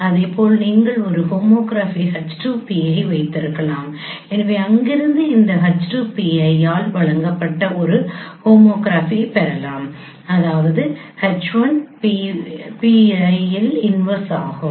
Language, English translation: Tamil, So from there you can get a homography which is given by this H2 pi H1 pi inverse